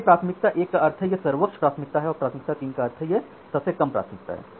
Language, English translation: Hindi, So, priority 1 means it is the highest priority and priority 3 means it is the lowest priority